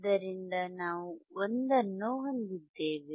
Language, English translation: Kannada, So, then we have 1